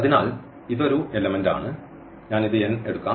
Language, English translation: Malayalam, So, this is one element so, let me take this n